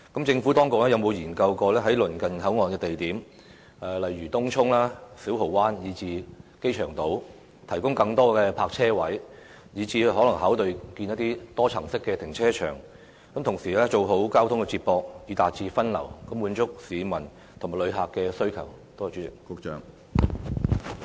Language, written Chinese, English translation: Cantonese, 政府當局有否研究在鄰近口岸的地方，例如東涌、小蠔灣以至機場島提供更多泊車位，甚至考慮興建多層停車場，做好交通接駁以達到分流效果，以滿足市民及旅客的需求？, Has the Administration studied the provision of more parking spaces in places in the vicinity of HKBCF such as Tung Chung Siu Ho Wan and the Airport Island and even considered the construction of a multi - storey car park with a view to providing proper feeder transport to achieve diversion of traffic to satisfy the needs of the public and tourists?